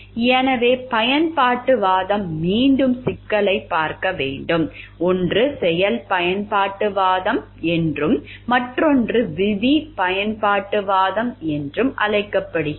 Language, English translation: Tamil, So, utilitarianism again have to like mains of looking at the problem one is called the act utilitarianism and the other is the rule utilitarianism